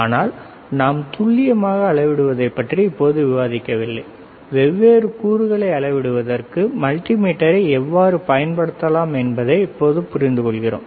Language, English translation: Tamil, But let me tell you that we are not interested in understanding the accuracy, right now not resolution, right now we understanding that how we can use the multimeter for measuring different components, all right